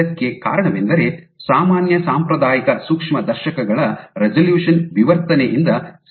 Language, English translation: Kannada, And the reason for this is because the resolution, the resolution of normal conventional microscopes is limited by diffraction ok